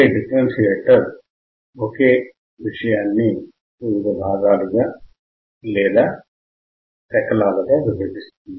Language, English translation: Telugu, Differentiator will differentiate into a lot of fragments